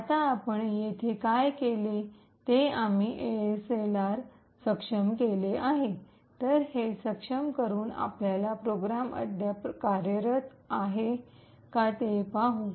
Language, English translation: Marathi, So, what we have done here now is we have enabled ASLR, so with this enabling let us see if the program still works